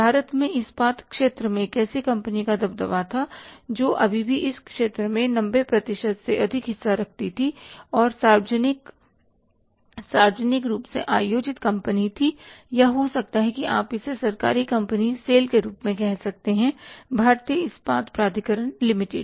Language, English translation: Hindi, In India the steel sector was dominated by one company which was having more than 90% of the share in the steel sector and that was a public publicly held company or maybe you can call it as a government company say a sale, Steel of India limited